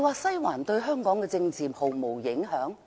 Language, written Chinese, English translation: Cantonese, "西環"對香港政治真的毫無影響？, Does Western District really have no influence on politics in Hong Kong?